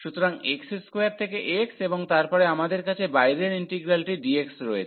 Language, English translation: Bengali, So, x square to x and then we have the outer integral dx